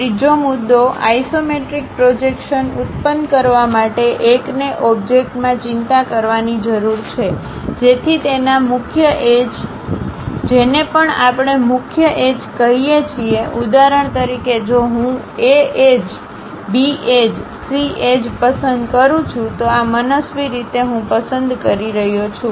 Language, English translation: Gujarati, The third point, to produce isometric projection; one has to worry in the object, so that its principal edges, whatever the edges we call principal edges, for example, if I am choosing A edge, B edge, C edge, these are arbitrarily I am choosing